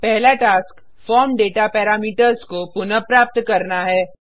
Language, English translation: Hindi, The first task is to retrieve the form data parameters